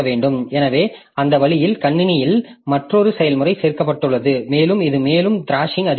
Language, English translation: Tamil, So, that way the, so another process added to the system and that increases this thrashing further